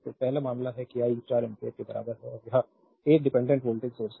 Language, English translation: Hindi, So, first case that I equal to 4 ampere right and it is a dependent voltage source